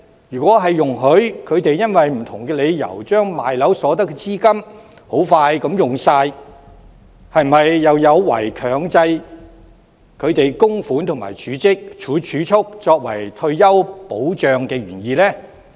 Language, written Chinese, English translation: Cantonese, 如果容許他們因為不同理由，很快用光出售物業所得的資金，這是否有違強制他們供款及儲蓄，以作為退休保障的原意？, If they are allowed to sell their properties for various reasons and exhaust all capital from property sales within a short time will this violate the original intent of providing retirement protection by forcing them to commit to contributions and savings?